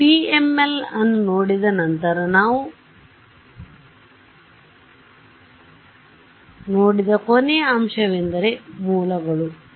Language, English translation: Kannada, After having looked at PML’s the last aspect that we looked at was sources right